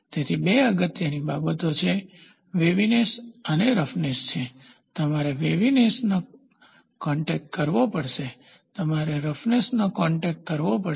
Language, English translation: Gujarati, So, that two important things are waviness and roughness; you have to contact waviness, you have to contact roughness